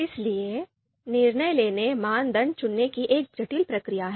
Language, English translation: Hindi, So decision making is a complex process of selecting criteria